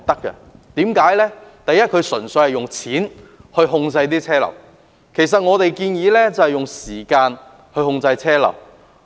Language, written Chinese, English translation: Cantonese, 政府的方案純粹是用金錢控制車流；而我們建議的則是用時間控制車流。, The Governments proposal simply seeks to manage traffic flows by adjusting tolls whereas our proposal seeks to rationalize traffic flows with time management